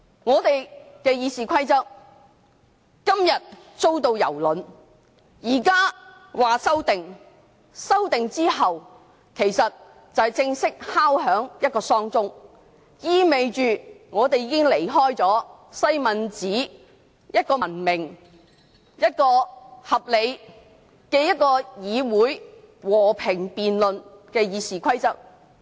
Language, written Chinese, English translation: Cantonese, 立法會的《議事規則》今天遭到蹂躪，修訂之後就是正式敲響喪鐘，意味着立法會已經離開了西敏寺文明、合理、和平辯論的議事方式。, With the passage of the amendment the death knell will be formally sounded meaning that the Legislative Council has moved away from the Westminster model of deliberation in a civilized reasonable and peaceful way . The Legislative Council has detached from the parliamentary practices of democratic parliaments which adopt the Westminster model